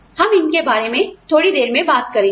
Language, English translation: Hindi, We will talk about these, a little later